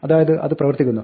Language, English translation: Malayalam, So this works